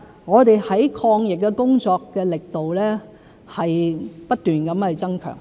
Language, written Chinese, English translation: Cantonese, 我們在抗疫工作的力度是不斷增強。, We have been constantly stepping up our efforts to fight the epidemic